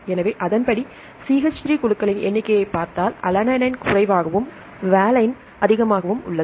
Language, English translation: Tamil, So, accordingly if you look into the number of CH3 groups, alanine has less and valine has more